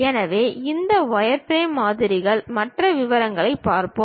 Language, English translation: Tamil, So, let us look in detail about this wireframe models